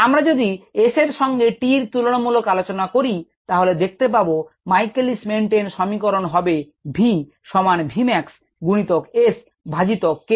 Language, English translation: Bengali, we collect s verses t data and if we do that, the michaelis menten equation is: v equals v mass s by k m plus s